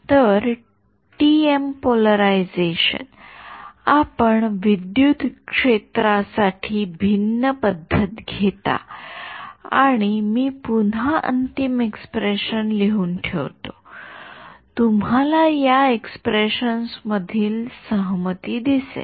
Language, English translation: Marathi, So, TM polarization, you would take the different conventions for electric field and I will again I will just write down the final expression ok, you will notice a symmetry between these expressions